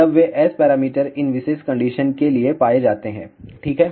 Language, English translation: Hindi, Then those S parameters are found for these particular conditions ok